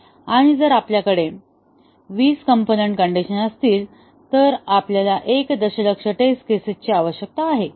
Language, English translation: Marathi, And, if we have 20 component conditions, then we need a million test cases